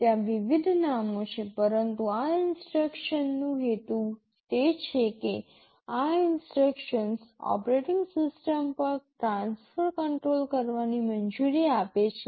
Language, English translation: Gujarati, There are various names, but the purpose of this instructions is that, these instructions allow to transfer control to the operating system